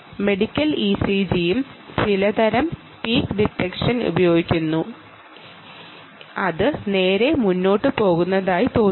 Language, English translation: Malayalam, e c g also uses some form of peak detection and that appears to be straight forward